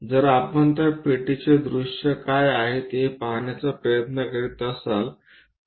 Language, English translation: Marathi, If we are trying to look at what are the views of that box